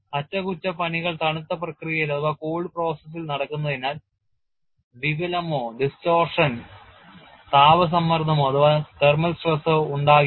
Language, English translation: Malayalam, As the repairs are carried in cold process, no distortion or thermal stress is induced